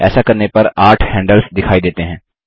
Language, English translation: Hindi, On doing so, eight handles become visible